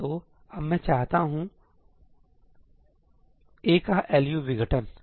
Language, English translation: Hindi, So, now, what I want is the LU decomposition of A, right